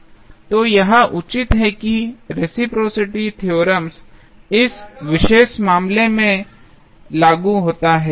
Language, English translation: Hindi, So, this justifies that the reciprocity theorem is applicable in this particular case